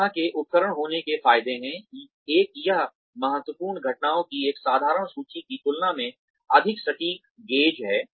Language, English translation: Hindi, The advantages of having this kind of an instrument are, one, it is a more accurate gauge than, just a simple list of critical incidents